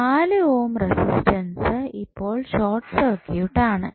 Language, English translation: Malayalam, So, the 4 ohm resistance which you see here is now short circuited